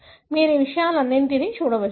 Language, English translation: Telugu, You can look at all these things